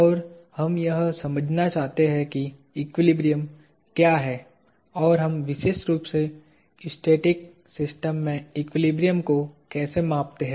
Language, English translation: Hindi, And, we want to understand what equilibrium is and how do we quantify equilibrium in static systems especially